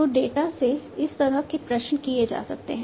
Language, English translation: Hindi, So, this kind of queries could be made from the data